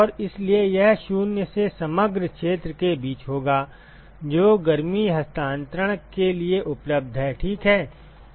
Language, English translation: Hindi, And so, this will be between 0 to the overall area which is available for heat transfer ok